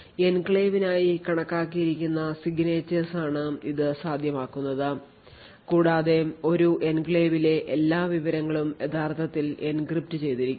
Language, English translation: Malayalam, So, this is made a possible because of the signature’s which can be computed up for the enclave and also the fact the all the information in an enclave is actually encrypted